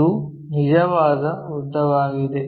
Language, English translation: Kannada, True lengths are done